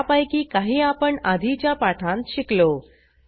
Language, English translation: Marathi, We learnt some of them in earlier tutorials